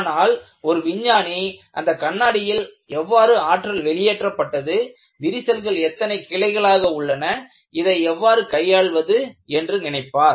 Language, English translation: Tamil, A scientist has to go and see how the energy has been dissipated, how many crack branches have come about and how to deal with this